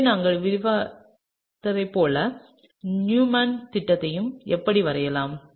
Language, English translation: Tamil, So, this is how we would draw the Newman projection like we have described